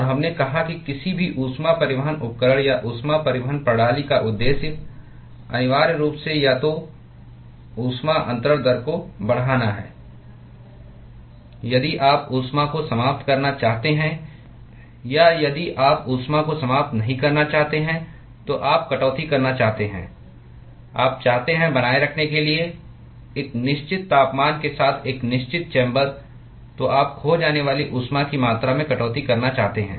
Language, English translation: Hindi, And we said that the purpose of any heat transport equipment or heat transport system is essentially to either increase the heat transfer rate if you want to dissipate the heat or if you do not want to dissipate the heat, you want to cut down / you want to maintain the a certain chamber with a certain temperature then you want to cut down the amount of heat that is lost